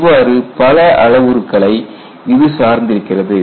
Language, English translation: Tamil, There are so many parameters attached to it